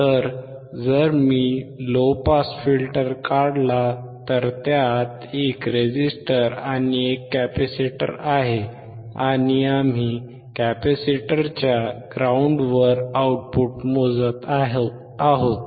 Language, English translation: Marathi, So, if I draw a low pass filter, it has a resistor, and there was a capacitor, and we were measuring the output across the capacitor ground